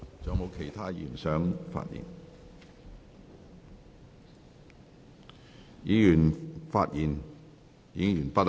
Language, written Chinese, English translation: Cantonese, 議員已發言完畢。, Members have already spoken